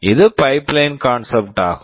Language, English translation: Tamil, This is the concept of pipeline